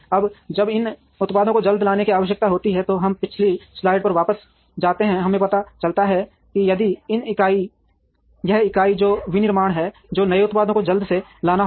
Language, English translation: Hindi, Now, when there is a need to bring new products quickly, we go back to previous slide we realize that if this entity which is the manufacturing has to bring out new products quickly